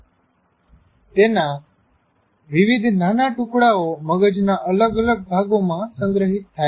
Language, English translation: Gujarati, Different bits of that are stored in different parts of the brain